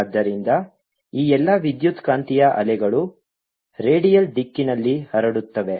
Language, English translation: Kannada, so all this electromagnetic waves of propagating in the redial direction